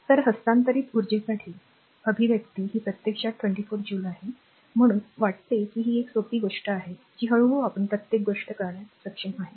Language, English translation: Marathi, So, expression for energy transferred it is actually 24 joule, I think this is simple thing it is understandable to all of you right slowly and slowly you have to understand now each and everything